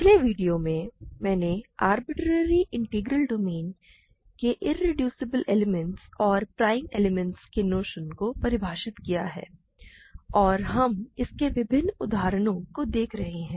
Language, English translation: Hindi, In the last video, I defined the notion of irreducible elements and prime elements in an arbitrary integral domain, and we are looking at various examples